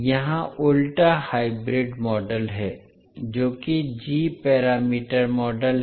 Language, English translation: Hindi, Here the inverse hybrid model that is the g parameter model